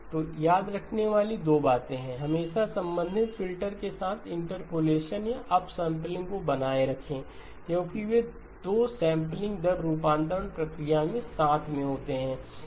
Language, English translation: Hindi, So the 2 things to remember, always keep the interpolation or upsampling with the corresponding filter because those 2 go hand in hand in the sampling rate conversion process